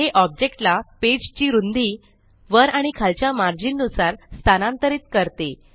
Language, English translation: Marathi, It moves the object with respect to the top and bottom margins and the page width